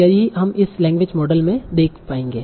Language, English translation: Hindi, So we will see language model using these definitions